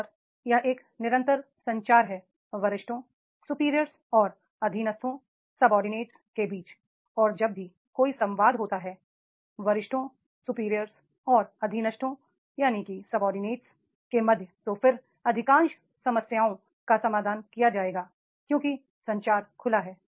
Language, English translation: Hindi, And whenever there is a frequent communication between the superior and subordinate and then most of the problems will be resolved because the communication is open